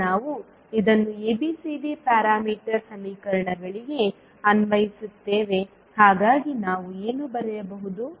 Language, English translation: Kannada, Now we apply this to ABCD parameter equations so what we can write